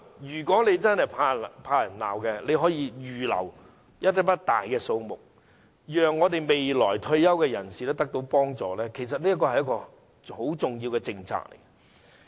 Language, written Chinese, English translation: Cantonese, 如果政府真的怕被人責罵，可以預留一大筆錢，讓未來退休人士得到幫助，這其實是一項很重要的政策。, If the Government is truly afraid of being berated it can set aside a huge amount of money for helping retirees in the future . This is actually a very important policy